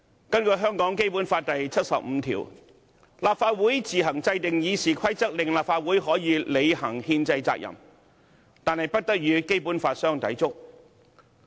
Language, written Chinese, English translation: Cantonese, 根據《基本法》第七十五條，立法會自行制定《議事規則》，令立法會可履行憲制責任，但不得與《基本法》相抵觸。, Under Article 75 of the Basic Law the Legislative Council shall formulate the Rules of Procedure on its own in order to fulfil its constitutional responsibility but they shall not contravene the Basic Law